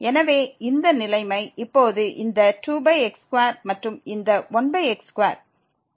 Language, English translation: Tamil, So, this is the situation now this 2 over square and this 1 over square